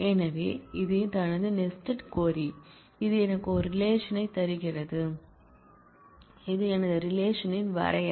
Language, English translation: Tamil, So, this is my nested query that gives me a relation and this is my definition of the relation